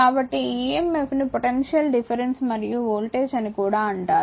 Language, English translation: Telugu, So, this emf is also known as the potential difference and voltage